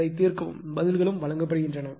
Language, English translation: Tamil, So, you solve it , answers are also given